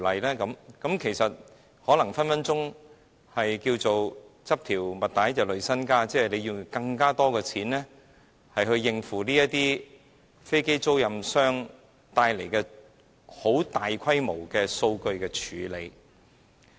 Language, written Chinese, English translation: Cantonese, 這很可能會"執條襪帶累身家"，意即用更多金錢以應付飛機租賃管理商帶來的大規模數據處理。, The loss may thus outweigh the gain as we may need to spend a lot more money on processing massive amounts of data related to aircraft leasing managers